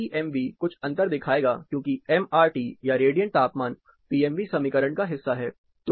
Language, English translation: Hindi, PMV will show certain difference, because MRT or radiant temperature is part of the PMV equation